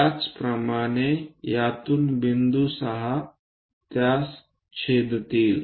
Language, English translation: Marathi, Similarly, from this point 6 intersect that